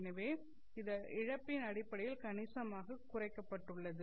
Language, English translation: Tamil, So this in terms of the loss has been reduced considerably